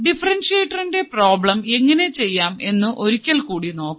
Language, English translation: Malayalam, You will once again see how we can solve the problem for a differentiator